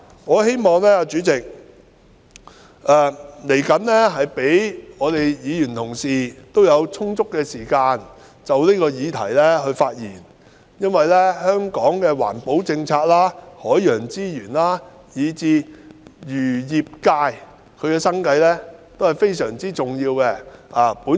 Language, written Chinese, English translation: Cantonese, 我希望代理主席稍後會給予議員充足時間就此議題發言，因為香港的環保政策、海洋資源以至漁業界的生計，都是非常重要的。, I hope that you Deputy President will later on allow Members ample time to speak on this issue because the policy on environmental protection marine resources and the livelihood of the members of the fisheries industry in Hong Kong are all of great importance . I shall stop here